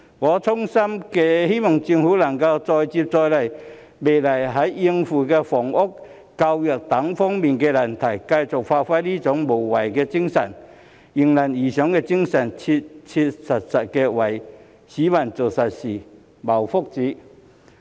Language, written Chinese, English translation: Cantonese, 我衷心希望政府能再接再厲，未來在應付房屋、教育等難題上繼續發揮這種無畏無懼、迎難而上的精神，切切實實為市民做實事、謀福祉。, I think this is truly the spirit of embracing challenges . I sincerely hope that the Government can make persistent efforts to deal with housing education and other issues in the future exerting its fearlessness and its spirit of embracing challenges doing practical things for the public and promoting their well - being